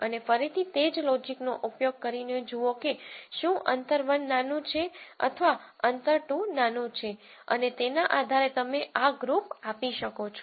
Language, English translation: Gujarati, And again use the same logic to see whether distance 1 is smaller or distance 2 smaller and depending on that you assign these groups